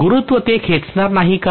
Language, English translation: Marathi, Will the gravity not pull it